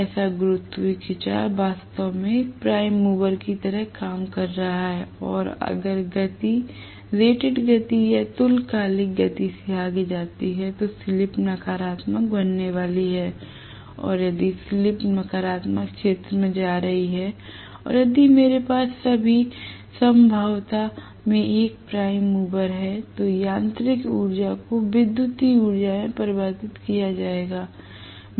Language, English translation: Hindi, So, the gravitational pull is actually acting like a prime mover, and if the speed goes beyond whatever is the rated speed or synchronous speed that is going to cause the slip to go into the negative region, and if the slip is going into the negative region, and if I have a prime mover in all probability, the mechanical energy will be converted into electrical energy right